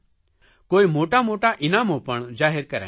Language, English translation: Gujarati, Many big prizes have been announced